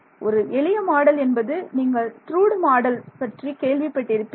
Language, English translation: Tamil, So, the simplest model is actually something that you have seen you have heard of Drude model